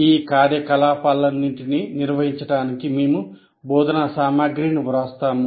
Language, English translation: Telugu, To conduct all those activities, we write the instruction material